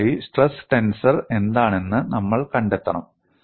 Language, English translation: Malayalam, And first of all, we have to find out what is the stress tensor